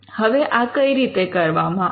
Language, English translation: Gujarati, Now how is this done